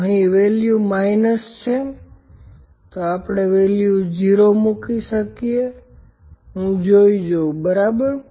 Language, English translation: Gujarati, So, the value is minus here, so we can put the value 0 let me see, ok